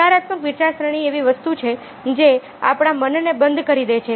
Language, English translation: Gujarati, negative thing is essentially something which closes our mind